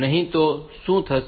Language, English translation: Gujarati, Otherwise what will happen